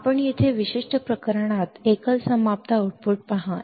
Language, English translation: Marathi, You see here in this particular case single ended output